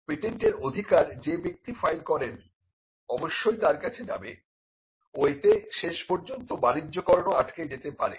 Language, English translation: Bengali, Now, the credit for the patents will definitely go to the person who files the patent, and this could also eventually it could stall commercialization itself